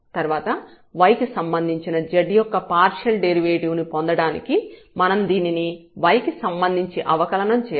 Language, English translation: Telugu, And in that case also we can compute the partial derivatives now of z with respect to u and the partial derivative of z with respect to v by these formulas